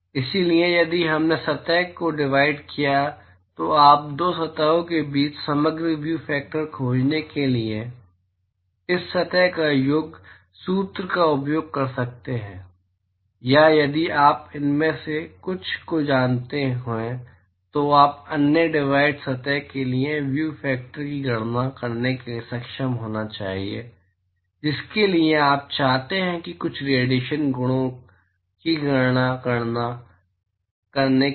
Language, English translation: Hindi, So, if we have divided surface then you could use such summation formula to find the overall view factor between the two surfaces or if you know some of them you should be able to calculate the view factor for the other divided surface for which you may want to calculate some of the radiation properties